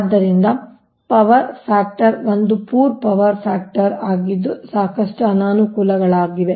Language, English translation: Kannada, therefore power factor is an poor power factor has lot of disadvantages